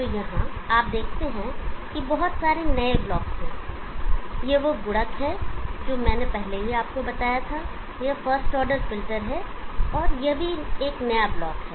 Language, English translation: Hindi, So here you see that there are so many new blocks on the multiplier I already told you, this first order filter this is also new block